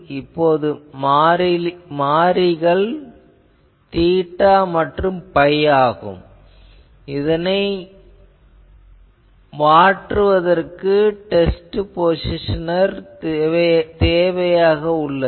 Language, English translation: Tamil, Now only variable needs to be theta and phi, so to be able to vary theta phi a positioner is needed